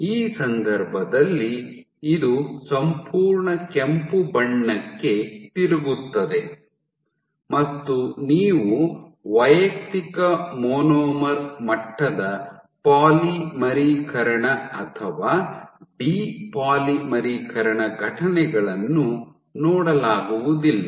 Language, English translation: Kannada, So, then this entire thing will turn red in this case also you cannot see individual monomer level polymerization or de polymerization events